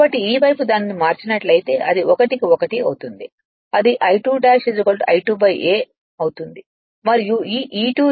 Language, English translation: Telugu, So, this side if you transform it, it will become 1 is to 1, it will become I2 dash is equal to I2 upon a